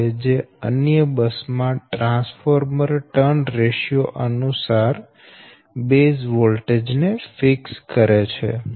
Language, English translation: Gujarati, this fixes the voltage bases for other buses in accordance to the transformer trans ratio